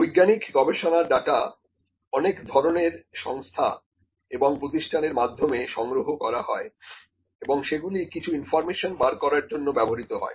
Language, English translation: Bengali, So, in scientific research data is collected by a huge range of organization and institutions and that is used to extract some information